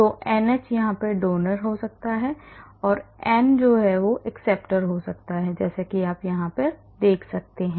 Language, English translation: Hindi, So, the NH can be a donor and n can be acceptor, as you can see here